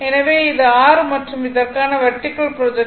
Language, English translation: Tamil, So, this is small r right and this for this , vertical projection is 39